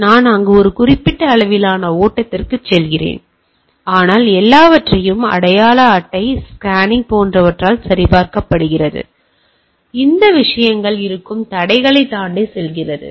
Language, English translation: Tamil, So, I go on a particular level of flow is there, but everything is being checked with ID card scanning etcetera, it goes on a of obstructions ways things are there right